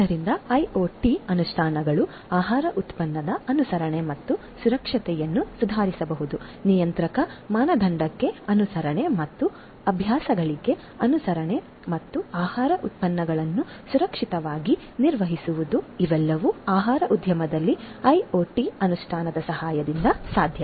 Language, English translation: Kannada, So, IoT implementations can also improve compliance and safety of the food product, compliance to regulatory standard, compliance to best practices and also safe handling of the food products, these are all possible with the help of IoT implementation in the food industry